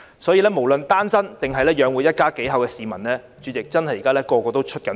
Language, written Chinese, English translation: Cantonese, 主席，無論是單身或須養活一家幾口的市民，現在真的是人人也在"出血"。, President whether for singletons or people who need to support their family all the people are really suffering badly now